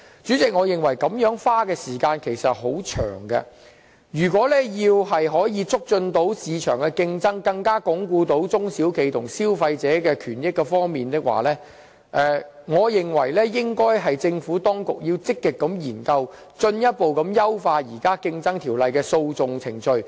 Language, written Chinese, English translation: Cantonese, 主席，我認為這樣太費時，如要促進市場的競爭力，並鞏固中小企業和消費者的權益，我認為政府當局應該積極研究，進一步優化《競爭條例》的訴訟程序。, President I find such procedures overly time - consuming . I think for the sake enhancing our competitiveness in the market while consolidating the rights and interests of both the SMEs and consumers the Government should actively study further refining the litigation process under the Competition Ordinance